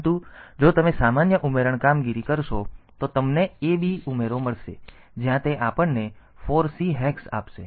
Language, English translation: Gujarati, But if you do a normal addition operation then you will get add A B where it will give us 4 C hex